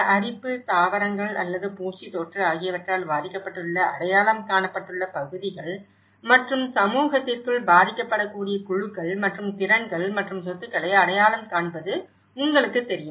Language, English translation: Tamil, You know, the identified areas affected by erosion, loss of vegetation or pest infestation and identify vulnerable groups and capacities and assets within the community